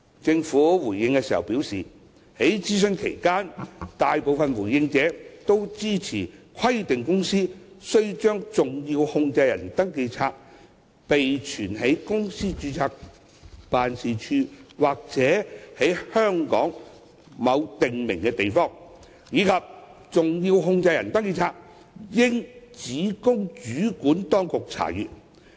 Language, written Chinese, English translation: Cantonese, 政府回應時表示，在諮詢期間，大部分回應者支持規定公司須把登記冊備存在公司的註冊辦事處或在香港的某訂明地方，以及登記冊應只供主管當局查閱的建議。, The Government has responded that the majority of the respondents to the consultation exercise supported the proposal of requiring a company to keep a SCR at the companys registered office or a prescribed place in Hong Kong and allowing only competent authorities to access SCRs